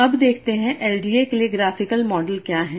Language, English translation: Hindi, So now let us see what is the graphical model for LD